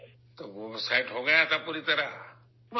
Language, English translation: Urdu, So it got set completely